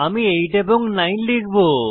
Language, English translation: Bengali, I will enter 8 and 9